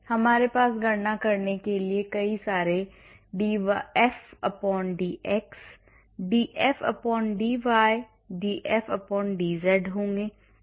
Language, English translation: Hindi, So, we will have many df/dx, df/dy, df/dz to be calculated